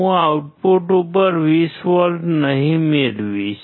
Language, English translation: Gujarati, I will not get 20 volts out at the output